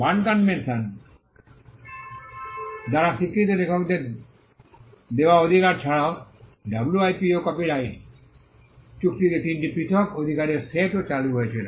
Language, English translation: Bengali, Apart from the rights granted to authors which were recognised by the Berne convention, the WIPO copyright treaty also introduced three different sets of rights